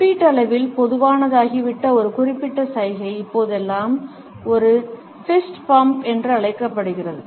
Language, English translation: Tamil, A particular gesture which has become relatively common, nowadays, is known as a fist bump